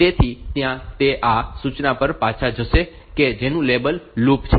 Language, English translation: Gujarati, So, there that will go back to this instruction whose label is loop